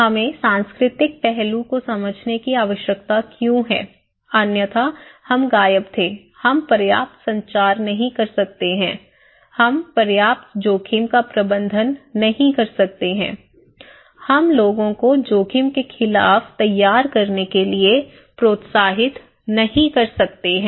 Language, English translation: Hindi, Why we need to understand the cultural aspect otherwise, we were missing, we cannot communicate enough, we cannot manage risk enough, we cannot encourage people to prepare against risk, let us look